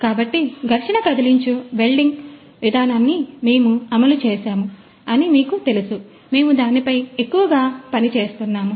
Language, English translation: Telugu, So, we have implemented that one to friction stir welding process which you have you know the we are also working on that in a large extent